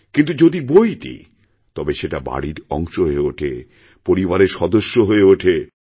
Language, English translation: Bengali, But when you present a book, it becomes a part of the household, a part of the family